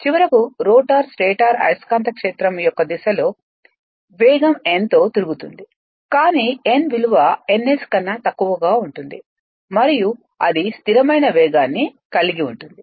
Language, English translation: Telugu, And that finally, your rotor rotates in the direction of the stator magnetic field with that is with speed n, but n less than n s, it cannot be at the what you call and it reaches a what you call a steady steady speed